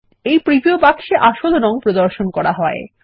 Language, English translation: Bengali, The first preview box displays the original color